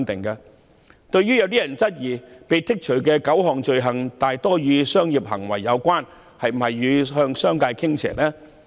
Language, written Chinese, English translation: Cantonese, 有人質疑，被剔除的9項罪類多數與商業行為有關，當局是否向商界傾斜？, Some people have questioned that most of the nine items of offences being excluded are related to commercial behaviours and whether the authorities are inclined towards the business community